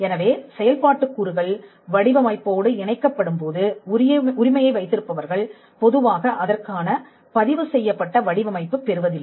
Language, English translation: Tamil, So, when functional elements are tied to the design Right holders normally do not go and get a registered design for it